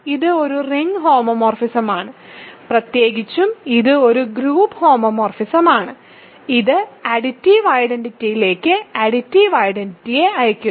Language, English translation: Malayalam, It is a ring homeomorphism; in particular, it is a group homomorphism and it sends the additive identity to additive identity